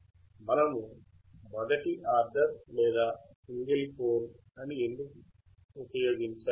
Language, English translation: Telugu, Why do we have to use first order or single pole